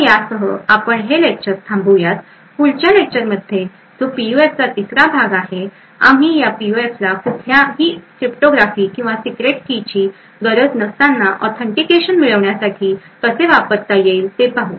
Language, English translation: Marathi, So with this we will stop this lecture, in the next lecture which is a third part of PUF, we will look at how these PUFs could be used to have an authentication without the need for any cryptography or secret keys